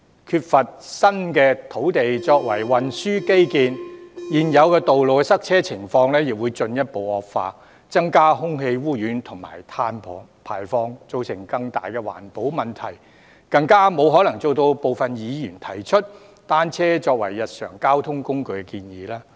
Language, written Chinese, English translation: Cantonese, 缺乏新土地作運輸基建，現有道路的塞車情況亦會進一步惡化，加劇空氣污染及碳排放，造成更大的環保問題，更沒可能做到大部分議員提出"單車作為日常交通工具"的建議。, Without new land for transport infrastructure congestion on the existing roads will deteriorate further and in turn exacerbate air pollution and carbon emissions thus resulting in greater environmental problems . In this way the idea of making bicycles a mode of daily transport as suggested by many Members becomes even more improbable